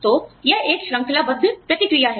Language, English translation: Hindi, So, it is a chain reaction